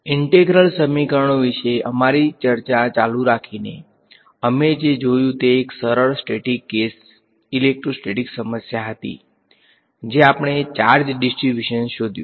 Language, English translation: Gujarati, Continuing our discussion that we have been having about integral equations, what we looked at was a simple static case electrostatics problem we found out the charge distribution